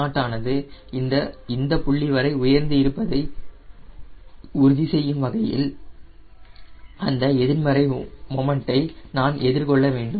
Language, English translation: Tamil, so i have to counter the negative moment in a sense the c m, not i have to ensure it is raised to this point